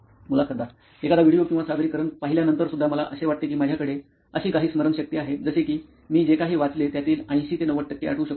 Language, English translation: Marathi, Even after watching a video or presentation, I have, I think I have that sort of memory like even if I read something, I can retain 80 to 90 percent of it